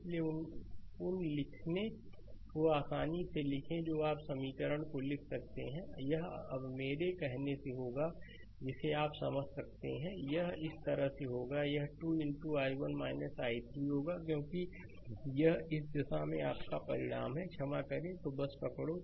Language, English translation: Hindi, So, write down those write easily you can write down the equation, it will be now from my mouth I am telling you can understand, it will be if i move like these it will be 2 into i 1 minus i 3, because this is your resultant in the in this direction sorry, so just hold on